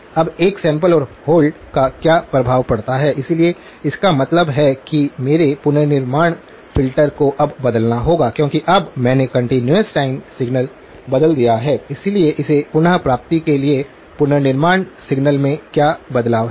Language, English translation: Hindi, Now, what is the impact of a sample and hold, so that means my reconstruction filter now has to change because now I have changed the continuous time signal, so what is the change in the reconstruction signal in order to make it realizable